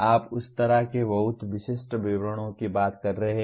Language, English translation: Hindi, You are talking of very specific details like that